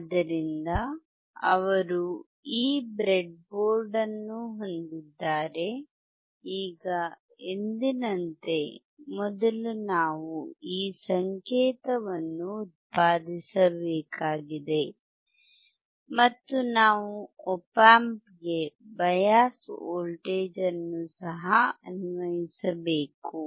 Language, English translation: Kannada, So, he has this breadboard, now as usual, first of all we have to generate this signal, and we also have to apply the bias voltage to the op amp